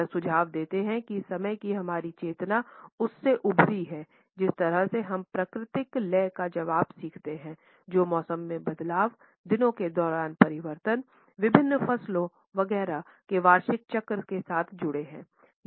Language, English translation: Hindi, He suggests that our consciousness of time has emerged from the way we learn to respond to natural rhythms, which were associated with changes in the season, with changes during the days, annual cycles of different crops etcetera